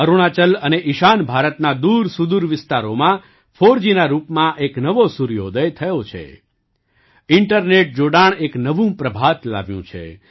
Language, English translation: Gujarati, There has been a new sunrise in the form of 4G in the remote areas of Arunachal and North East; internet connectivity has brought a new dawn